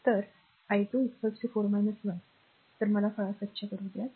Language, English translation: Marathi, So, i 2 is equal to 4 minus 1 so, if just me let me clean it , right